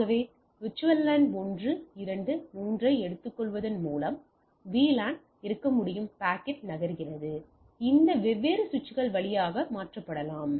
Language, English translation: Tamil, So as we have seen, so there can be a VLAN with the taking VLAN 1, 2, 3 the packet moves and there is that can be transferred across this different switches